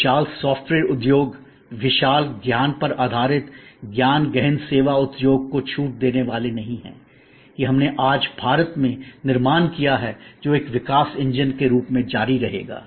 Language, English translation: Hindi, We are never going to discount the huge software industry, the huge knowledge based knowledge intensive service industry, that we have build up today in India, that will continue to be a growth engine